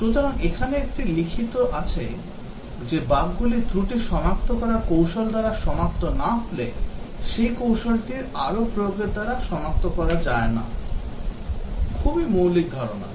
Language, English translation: Bengali, So that is what a written here, bugs that escape a fault detection technique cannot be detected by further applications of that technique, very very fundamental concept